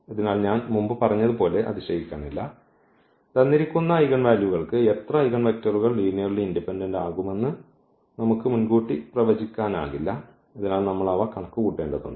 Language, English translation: Malayalam, So, not surprising as I said before that for given eigenvalues we cannot predict in advance at how many eigenvalue vectors will be linearly independent so, we have to compute them